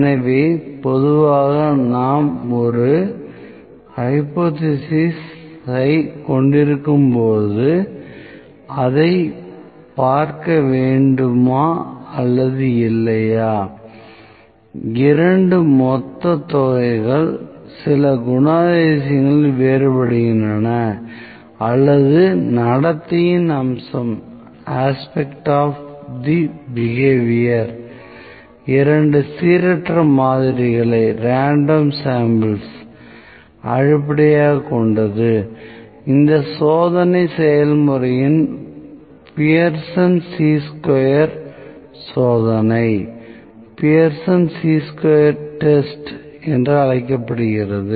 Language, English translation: Tamil, So, typically when we have a hypothesis where we whether we need to see that whether or not, the two populations are different in some characteristic or aspect or the behavior is based upon two random samples this test procedure is known as Pearson Chi square test